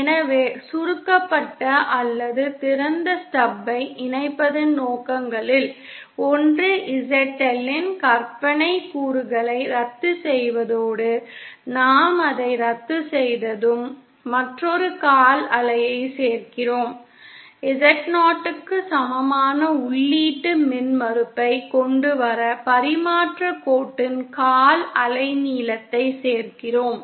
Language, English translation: Tamil, So one the purpose of connecting the shorted or open stub is to cancel the imaginary component of ZL and then once we have cancelled it, we simply add another quarter wave we add a quarter wavelength of transmission line to bring the input impedance equal to Z0